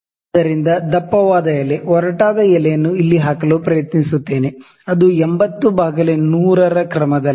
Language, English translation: Kannada, So, let me try to put the thickest leaf, the coarsest leaf here, which is of the order of 80 by 100